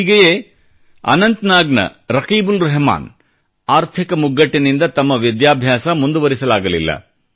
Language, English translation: Kannada, Similarly, RakibulRahman of Anantnag could not complete his studies due to financial constraints